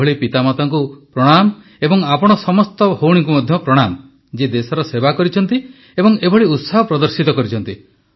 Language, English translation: Odia, And I feel… pranam to such parents too and to you all sisters as well who served the country like this and displayed such a spirit also